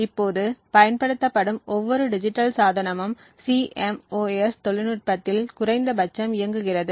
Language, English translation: Tamil, Now every digital device that is being used today works on CMOS technology atleast